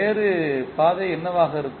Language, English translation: Tamil, What can be the other path